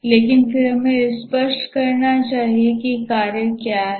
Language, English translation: Hindi, But then let us be clear about what is a task